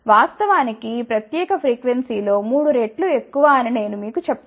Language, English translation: Telugu, In fact, I will just tell you that at around triple of this particular frequency